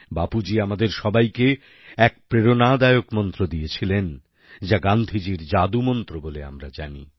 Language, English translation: Bengali, Bapu gave an inspirational mantra to all of us which is known as Gandhiji's Talisman